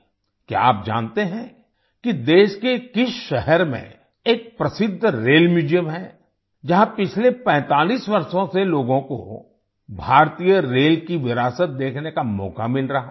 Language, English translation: Hindi, Do you know in which city of the country there is a famous Rail Museum where people have been getting a chance to see the heritage of Indian Railways for the last 45 years